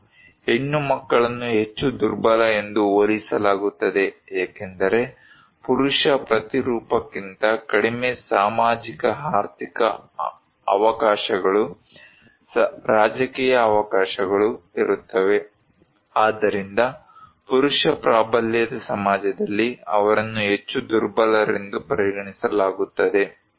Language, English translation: Kannada, And females are compared to be more vulnerable because they have many less socio economic opportunities, political opportunities, so than the male counterpart, so they are considered to be more vulnerable in a male dominated society